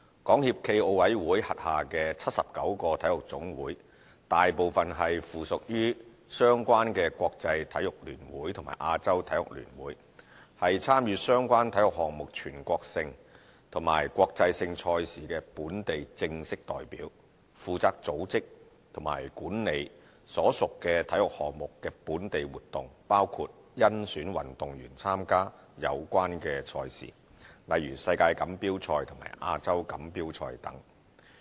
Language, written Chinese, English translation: Cantonese, 港協暨奧委會轄下的79個體育總會大部分是附屬於相關的國際體育聯會和亞洲體育聯會，是參與相關體育項目全國性及國際性賽事的本地正式代表，負責組織及管理所屬體育項目的本地活動，包括甄選運動員參加有關賽事，例如世界錦標賽及亞洲錦標賽等。, There are 79 NSAs under the SFOC . Most of them are affiliated to their respective International Federation and Asian Federation . NSAs officially represent Hong Kong in national and international sports competitions and are responsible for managing local activities relating to their respective sports including the selection of athletes to participate in competitions such as World Championship and Asian Championship